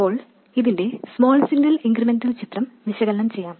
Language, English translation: Malayalam, Now let's analyze the small signal incremental picture of this